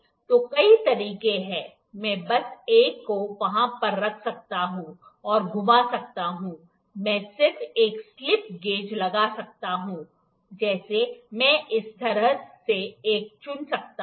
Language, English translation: Hindi, So, there are various ways, I can just put one over there, and rotate, I can just put one slip gauge like I can pick one like this